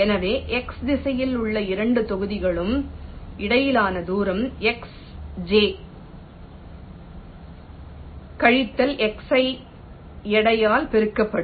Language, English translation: Tamil, so distance between the two blocks in the x direction will be xj minus xi multiplied by way weight